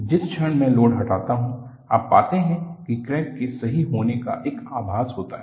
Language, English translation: Hindi, The moment I remove the load, you find there is a semblance of healing of the crack